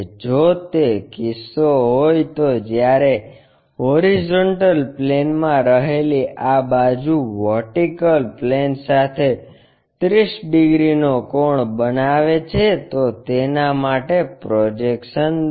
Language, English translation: Gujarati, If that is a case draw its projections when this side in HP makes 30 degree angle with vertical plane